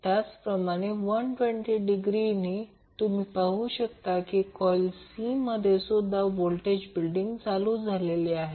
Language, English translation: Marathi, Similarly after another 120 degree you will see voltage is now being building up in the C coil